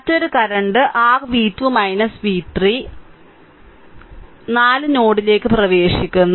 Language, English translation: Malayalam, And another current your v 2 minus v 3 upon 4 is entering into the node 3